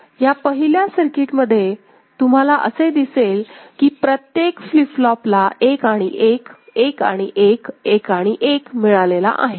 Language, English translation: Marathi, So, in the first circuit what you see is that each of the flip flop has got 1 and 1, 1 and 1, 1 and 1